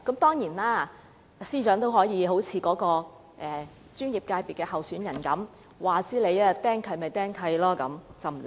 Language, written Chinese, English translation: Cantonese, 當然，司長也可以像該候選人般不理會清拆令，被"釘契"也不怕。, Of course the Secretary for Justice can like what the candidate did ignore the removal order and remain nonchalant even if an encumbrance has been imposed